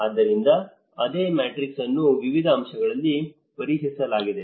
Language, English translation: Kannada, So, like that the same matrix has been tested in different aspects